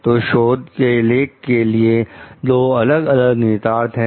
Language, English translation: Hindi, So, for the research article so, these have 2 different implications